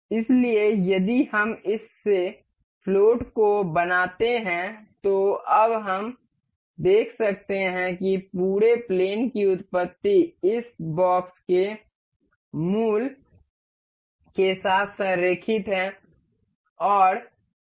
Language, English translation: Hindi, So, if we make this float, now we can see the origin of the whole plane is aligned with this origin of this box